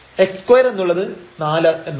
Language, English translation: Malayalam, So, x square this will become 4